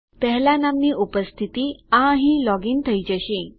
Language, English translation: Gujarati, The 1st occurrence of name, this one here will be logged in